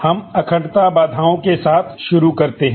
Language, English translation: Hindi, We start with integrity constraints